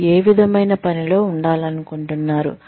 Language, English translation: Telugu, What kind of work, do you want to do